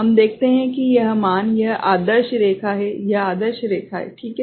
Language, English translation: Hindi, We see that this value, this is the ideal line, this is the ideal line right